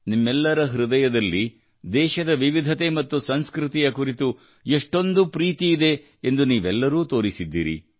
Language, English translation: Kannada, You all have shown how much love you have for the diversity and culture of your country